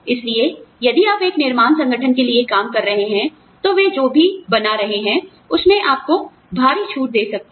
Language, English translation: Hindi, So, if you are working for a manufacturing organization, they could give you heavy discounts on, whatever they are making